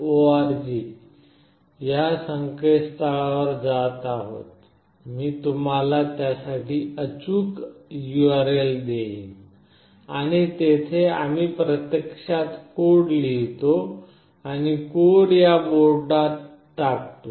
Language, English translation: Marathi, org, I will give you the exact URL for it, and there we actually write the code and dump the code into this particular board